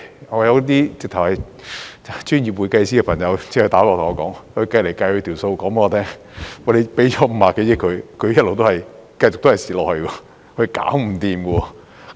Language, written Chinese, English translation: Cantonese, 我有專業會計師朋友來電對我說：他無論怎麼計算，算出來的也是給它50多億元，它也會繼續虧蝕下去，是無法解決的。, A friend of mine who is a professional accountant called me saying that in all scenarios upon his computation Ocean Park would continue to suffer losses despite a grant of 5 - odd billion and a solution could never be worked out